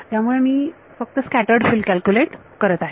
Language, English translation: Marathi, So I am only calculating the scattered field